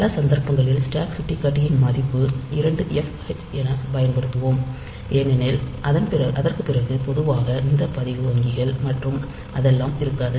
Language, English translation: Tamil, So, in many cases, we will use this to 2Fh as the stack pointer value because after that normally we do not have this register banks and all that